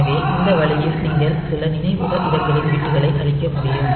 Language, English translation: Tamil, So, this way you can clear the bits of some memory locations